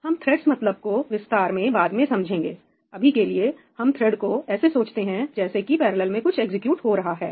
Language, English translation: Hindi, we will get into details of what a thread means, for now just think of a thread as something executing in parallel